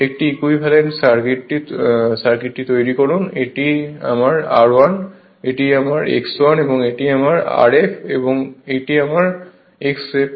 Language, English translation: Bengali, You make an equivalent circuit, this is my r 1, this is my x 1 and this is my r f and this is my x f right